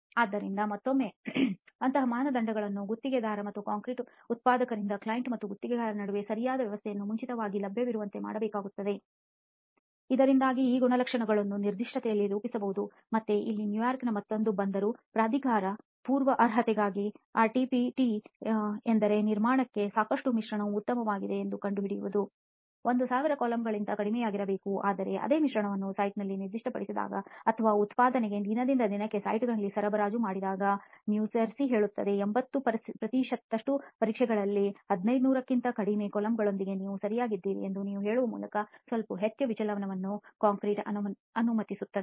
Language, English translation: Kannada, So again such criteria need to be made available to the contractor or concrete producer well in advance by a proper arrangement between the client and the contractor so that these characteristics can be worked out in the specification, again here one more Port Authority of New York in New Jersey says that RCPT for pre qualification that means for ascertaining that the mix is good enough for construction should be less than 1000 coulombs but when the same mix is specified on site or is supplied on site on a day to day basis for the production concrete you allow a slightly higher deviation you say that you are okay with less than 1500 coulombs in 80 percent of the tests